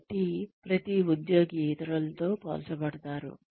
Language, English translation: Telugu, So, every employee is compared with others